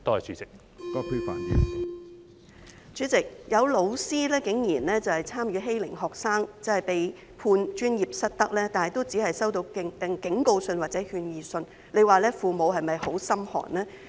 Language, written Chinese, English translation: Cantonese, 主席，有老師因參與欺凌學生而被判專業失德，但竟然只是收到警告信或勸諭信，這樣父母是否感到很心寒呢？, President a teacher was convicted of professional misconduct for participating in bullying students but surprisingly the teacher only received a warning letter or an advisory letter . In view of this how can parents not tremble with fear?